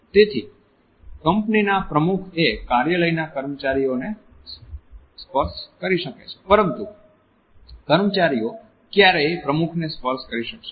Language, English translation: Gujarati, So, the president of the company may touch the office employees, but the employees would never touch the president